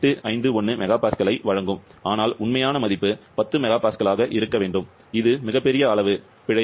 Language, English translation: Tamil, 851 mega Pascal but the true value is supposed to be 10 mega Pascal, a humongous amount of 38